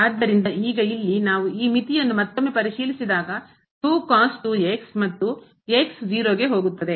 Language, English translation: Kannada, So now, here when we check this limit again so, times the and goes to